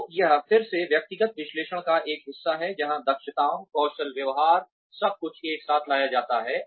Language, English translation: Hindi, So, this is again a part of personal analysis, where the competencies, the skills, behaviors, everything is sort of brought together